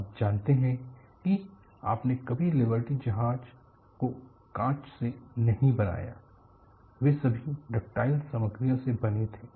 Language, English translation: Hindi, You never made the Liberty ship out of glass; they were all made of ductile materials